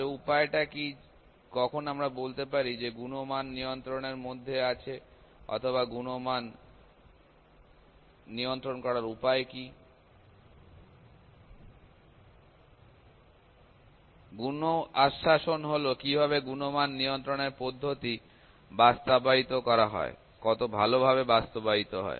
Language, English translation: Bengali, So, what is the way or when we can say that the quality is within control or what is the way to control the quality, quality assurance; quality assurance is that how the quality assure quality control procedures are implemented; how well are they implemented